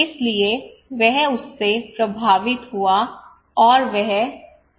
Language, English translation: Hindi, So he was influenced by him, and he left